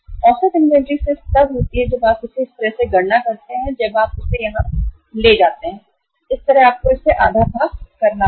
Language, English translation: Hindi, Average inventory is just when you calculate this like this you take here when it goes like this you have to divide it half